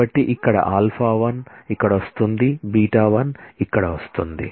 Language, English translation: Telugu, So, here alpha 1 is coming here beta 1 is coming here